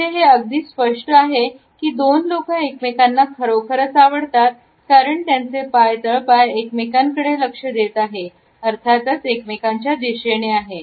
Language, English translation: Marathi, Here it is pretty clear these two people really like each other because their legs and feet are pointing towards each other